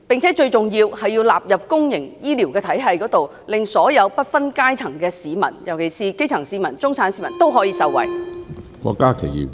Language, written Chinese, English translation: Cantonese, 最重要的是，將罕見病納入公營醫療體系，令不分階層的市民，尤其是基層市民、中產市民都受惠。, Most importantly the Government should include rare diseases into the public health care system so that people of all classes especially the grass roots can benefit from it